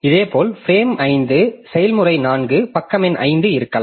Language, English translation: Tamil, Similarly frame 5 I may have process 4 page number 5